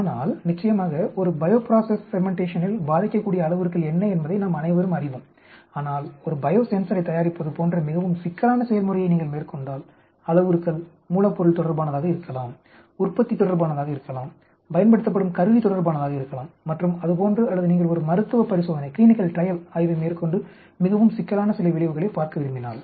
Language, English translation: Tamil, But of course, in a bio process fermentation we all know what are the parameters that is going to affect but if you take a much more complex process like manufacture of a biosensor there could be raw material related, there could be manufacturing related, issues there could be type of instrument used and so on or if you take a clinical trails study and you want to look at some effect that is very complicated